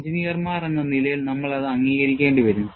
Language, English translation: Malayalam, As engineers, we will have to accept that